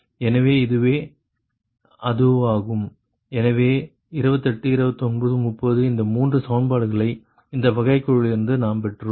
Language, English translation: Tamil, so twenty, eight, twenty, nine, thirty, these three equations we got right from this derivative